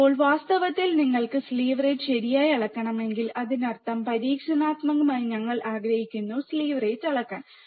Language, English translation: Malayalam, Now, in reality if you want measure slew rate right; that means, experimentally we want to measure slew rate